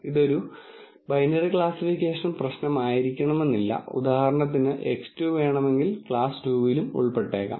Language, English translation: Malayalam, This need not be a binary classification problem; for example, X 2 could belong to class 2 and so on